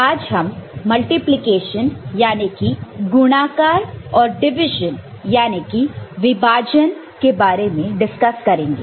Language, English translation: Hindi, Hello everybody, today we discuss Multiplication and Division